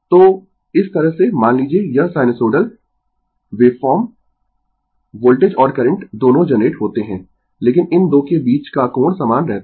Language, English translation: Hindi, So, this way suppose this sinusoidal waveform voltage and current both are generated, but angle between these 2 are remain same